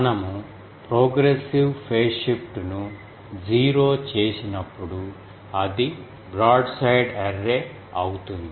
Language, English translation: Telugu, When the progressive phase shift we make 0, that is a broadside array